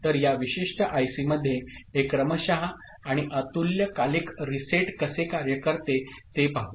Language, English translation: Marathi, So, let us see how this serial in and asynchronous reset work in this particular IC